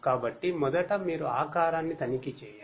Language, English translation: Telugu, So, first you check the shape